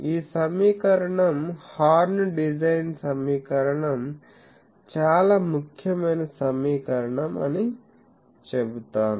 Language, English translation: Telugu, So, this equation is this is the I will say horn design equation very important equation